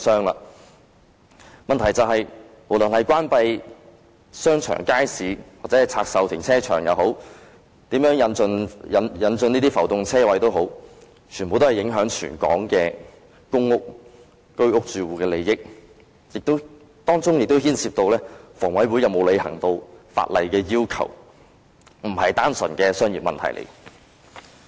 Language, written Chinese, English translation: Cantonese, 問題的癥結在於，不論是關閉商場或街市，或拆售停車場，或如何引進浮動車位，全部都影響全港公屋、居屋住戶的利益，當中亦牽涉香港房屋委員會有否履行法例要求，這並非單純的商業問題。, The crux of the problem is be it closure of shopping arcades or markets divestment of car parks or introduction of floating parking spaces everything affects the interests of all the public housing and HOS residents in Hong Kong . It also involves the question of whether the Hong Kong Housing Authority HA has fulfilled the statutory requirements . This is not simply a commercial issue